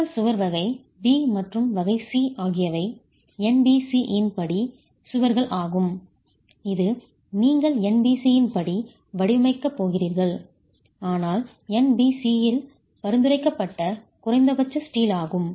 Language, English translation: Tamil, Your wall type 2 and type B and type C are walls as per NBC which you will go for design as per NBC but minimum steel as prescribed in NBC